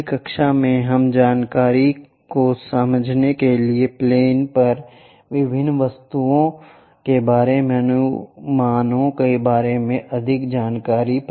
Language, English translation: Hindi, In the next class, we will learn more about these projections of different objects on to planes to understand the information